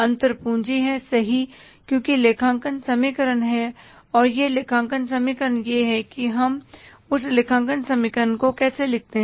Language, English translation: Hindi, Because there is a accounting equation and that accounting equation is how do we write that accounting equation